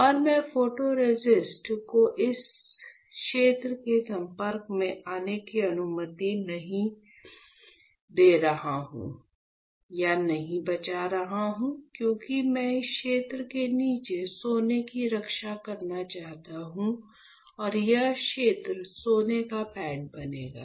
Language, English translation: Hindi, And I am saving or not allowing the photoresist to get exposed to this region; since I want to protect my gold below this region and this region will form the gold pad